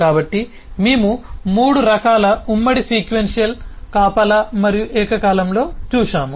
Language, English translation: Telugu, so we have seen three kinds of concurrency: sequential, guarded and concurrent